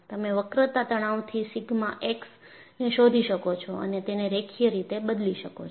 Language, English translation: Gujarati, You would be able to find out the bending stress sigma x from this, and this varies linear